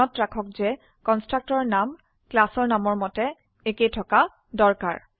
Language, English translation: Assamese, Remember the Constructor has the same name as the class name to which it belongs